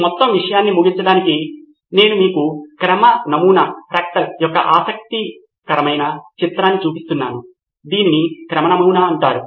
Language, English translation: Telugu, Just to conclude this whole thing I am showing you interesting picture of a fractal, this is called a fractal